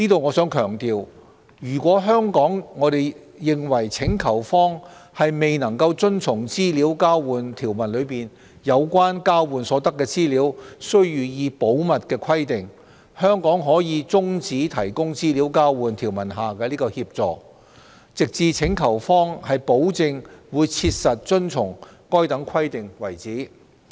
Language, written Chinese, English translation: Cantonese, 我想強調，若香港認為請求方未能遵從資料交換條文中有關交換所得資料需予以保密的規定，可中止提供資料交換條文下的協助，直至請求方保證會切實遵從該等規定為止。, I wish to stress that if Hong Kong considers that the requesting party does not comply with its duties regarding the confidentiality of the information exchanged under the relevant Exchange of Information Article Hong Kong may suspend assistance under the Exchange of Information Article of the relevant CDTA until such time as proper assurance is given by the requesting party that those duties will be honoured